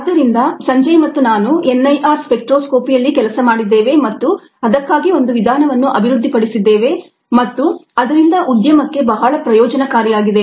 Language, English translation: Kannada, so to do that, sanjay, i had worked on n i r spectroscopy and developed a method for doing that, and that obviously here was very beneficial to the industry